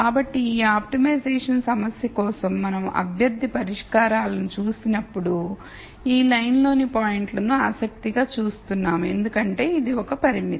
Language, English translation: Telugu, So, when we looked at candidate solutions for this optimization problem we were looking at the points on this line that that we are interested in because that is a constraint